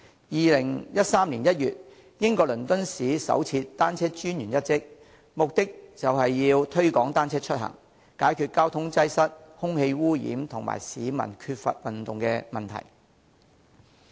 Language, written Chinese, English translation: Cantonese, 2013年1月，英國倫敦市首設單車專員一職，目的是推廣單車出行，解決交通擠塞、空氣污染和市民缺乏運動的問題。, In January 2013 the post of Cycling Commissioner was created for the first time in the City of London the United Kingdom . The purpose was to promote travelling by bicycle to resolve the problems of traffic congestion air pollution and the lack of physical exercise of members of the public